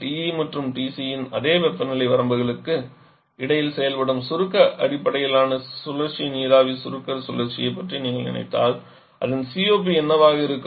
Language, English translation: Tamil, But why we are doing all this derivation because if you think about a compression based cycle vapour compression cycle working between the same temperature limits of TE and TC then what would be its COP